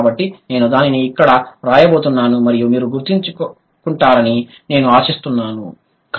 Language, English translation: Telugu, So, I am going to write it over here and I hope you remember